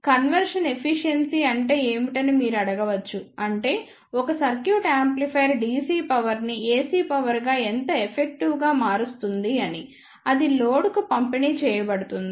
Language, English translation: Telugu, Now, one may ask that what is the conversion efficiency so that means, that how effectively one circuit of amplifier converts the DC power into the AC power which is to be delivered to the load